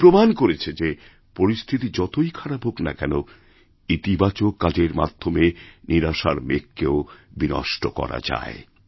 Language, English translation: Bengali, Anjum has proved that however adverse the circumstances be, the clouds of despair and disappointment can easily be cleared by taking positive steps